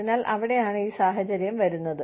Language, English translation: Malayalam, So, that is where, this situation comes in